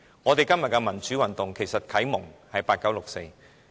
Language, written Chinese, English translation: Cantonese, 我們今天的民主運動，其實是啟蒙自八九六四。, Our pro - democracy movement today is actually a legacy of the 4 June incident in 1989